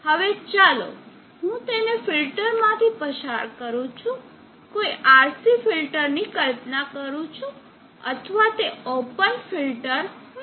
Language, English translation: Gujarati, Now this let be pass it through filter, imagine a RC filter, or it could be an open filter